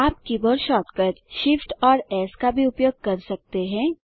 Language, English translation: Hindi, You can also use the keyboard shortcut Shift S